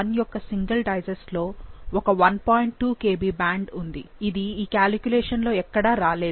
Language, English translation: Telugu, 2 Kb band, which doesn't come up in any of this calculation